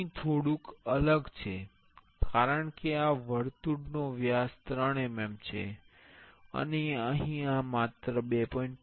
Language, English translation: Gujarati, Here there is a little bit different because this circle diameter is 3 mm, and here this is only 2